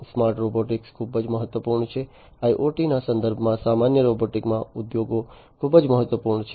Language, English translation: Gujarati, Smart robotics is very important in the context of IIoT industry industries in general robotics is very important